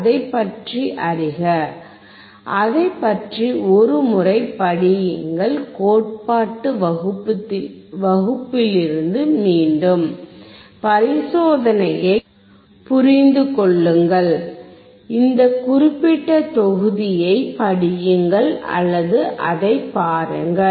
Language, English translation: Tamil, Learn about it, read about it once again from the theory class, understand the experiment, read this particular set of module or look at it